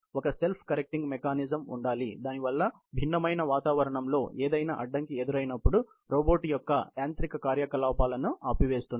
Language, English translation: Telugu, There has to be a self correcting mechanism, which stops the mechanical activity of the robot, the movement it faces an obstacle of that sort ok in a varying environment